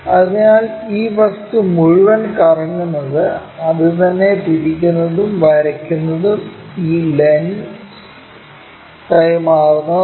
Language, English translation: Malayalam, So, this entire object is rotated in such a way that the same thing rotate it, draw it, and transfer this lens